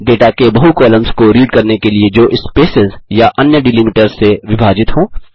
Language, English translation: Hindi, To Read multiple columns of data, separated by spaces or other delimiters